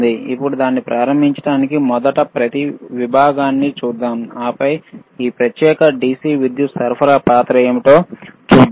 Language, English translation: Telugu, Now, so to start this one, right, , let us first see each section, and then we see what is the role of this particular DC power supply is;